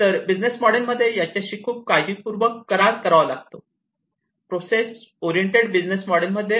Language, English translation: Marathi, So, these will have to be dealt with very carefully in this business model, the process oriented business model